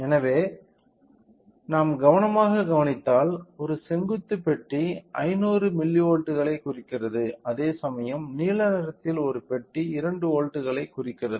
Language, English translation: Tamil, So, if we observe carefully the you know the vertical one box represents 500 milli volts whereas, for the blue one box represents 2 volts